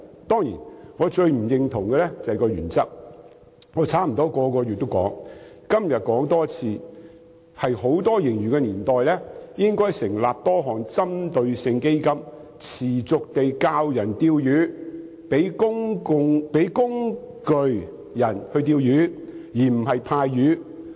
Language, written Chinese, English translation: Cantonese, 當然，我最不認同的是它的原則，我差不多每個月也說出這點，今天要再說一遍，在盈餘豐厚的年代，政府應該成立多項針對性基金，持續教導市民"釣魚"，提供"釣魚"工具，而不是派發"漁穫"。, I have advanced this point almost every month and today I have to say it again . In times of an abundant surplus the Government should set up various targeted funds . It should teach the public fishing on a continued basis and give them fishing tools rather than handing out catches